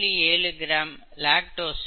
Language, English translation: Tamil, 7 g of lactose and 0